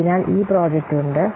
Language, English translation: Malayalam, So this project is there